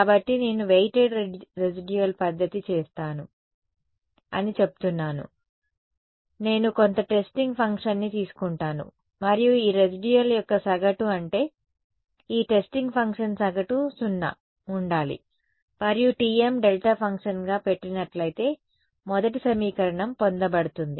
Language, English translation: Telugu, So, I say I will do a weighted residual method, I take some testing function and the this the average of this residual I mean the average of this testing function with this functional, this average should be 0 instead of saying and instead of making you know the first equation is simply obtained if I put T m to be a delta function